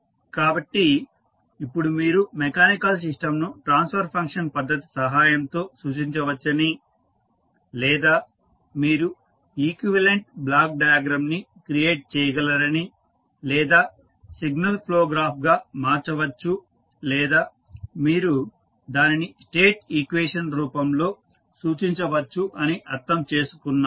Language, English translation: Telugu, So, you can now understand that the mechanical system can also be represented with the help of either the transfer function method or you can create the equivalent the block diagram or you can convert into signal flow graph or you can represent it in the form of State equation